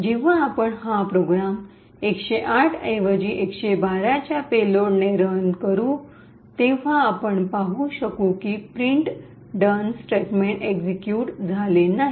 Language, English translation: Marathi, So, when we run this program again with payload of 112 instead of a 108 we would see that the done statement is not executed